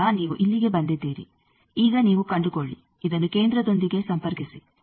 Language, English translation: Kannada, So, you have come here now you find out connect this with the centre